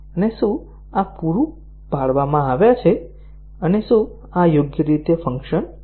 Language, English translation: Gujarati, And, whether these have been supplied and whether these function properly